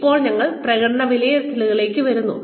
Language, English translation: Malayalam, Now, we come to performance appraisal